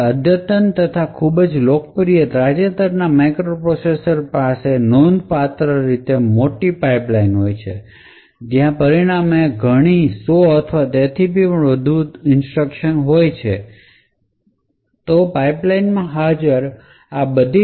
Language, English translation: Gujarati, Now advanced or very popular recent microprocessors have a considerably large pipeline and as a result there will be several hundred or so instructions which may be present in the pipeline